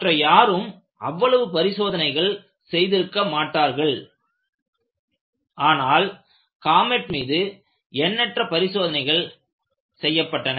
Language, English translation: Tamil, In those times, they were not doing even that many tests,but the test that they had conducted on comet were quite many